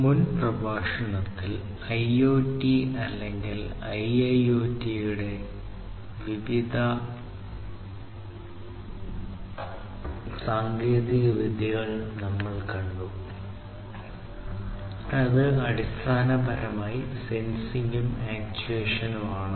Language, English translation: Malayalam, So, in the previous lecture, we have seen the key technologies, which are heart of, which are the hearts of the IoT or IIoT, which is basically sensing and actuation